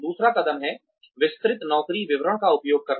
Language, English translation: Hindi, The second step is to, use detailed job descriptions